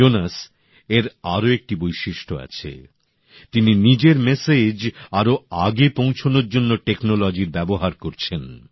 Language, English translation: Bengali, Jonas has another specialty he is using technology to propagate his message